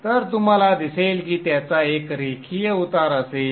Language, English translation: Marathi, So you see that it would be having a linear slope